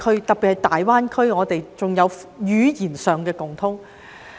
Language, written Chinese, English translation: Cantonese, 特別是在大灣區，我們更有語言上的共通。, Particularly in the Greater Bay Area we even have a commonality in language